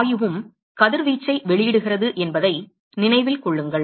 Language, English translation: Tamil, Remember that gas is also emit radiation